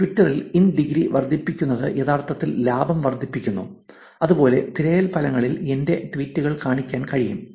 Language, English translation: Malayalam, In the Twitter space, increasing the in degree actually increases the gain; similarly, to show on my tweets on the search results